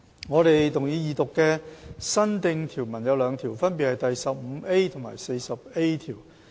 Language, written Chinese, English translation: Cantonese, 我們動議二讀的新訂條文有兩條，分別是第 15A 及 40A 條。, We move the Second Reading of two new clauses namely clauses 15A and 40A